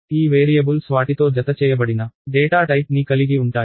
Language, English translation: Telugu, So, these variables have some kind of data type attached with them